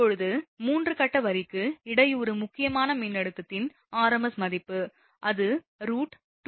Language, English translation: Tamil, Now, rms value of the disruptive critical voltage for a 3 phase line, it is just divide by root 2